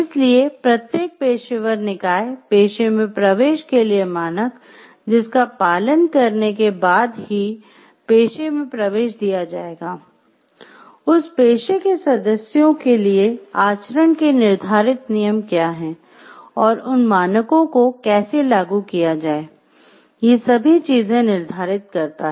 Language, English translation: Hindi, So, every professional body defines a standard for admission who will be admitted into that profession, what are the set rules of conduct for the members of that profession and, how to enforce that standards